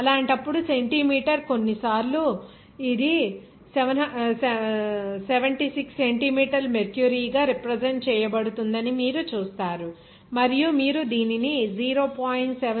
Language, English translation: Telugu, In that case, you will see that centimeter sometimes it will be represented as 76 centimeter mercury and you have to convert it to meter like 0